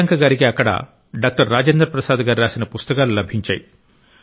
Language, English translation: Telugu, There, Priyanka ji came across many books written by Dr Rajendra Prasad and many historical photographs as well